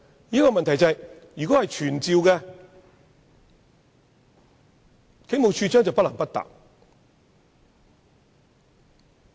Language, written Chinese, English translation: Cantonese, 但是，如果立法會傳召，處長便不得不回答。, However if the Commissioner is summoned by the Legislative Council he has to give a reply